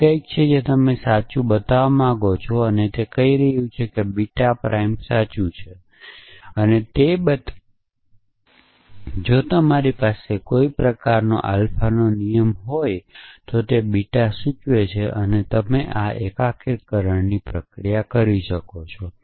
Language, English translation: Gujarati, It is something you want to show to be true and this is saying that to show that beta prime is true, if you have a rule of a kind alpha implies beta and you can do this unification process